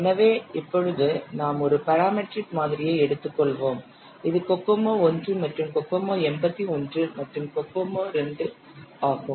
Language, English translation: Tamil, So, now we will take up one more parametric model, that is the Kocomo 1 and Kokomo 81 and Kokomo 2